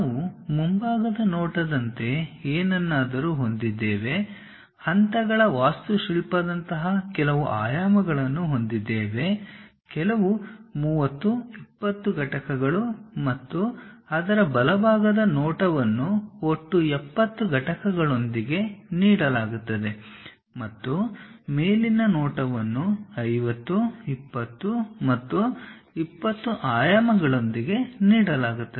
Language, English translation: Kannada, We have something like a front view, having certain dimensions like steps kind of architecture, some 30, 20 units and its right side view is given with total height 70 units and the top view is given with dimensions 50, 20 and 20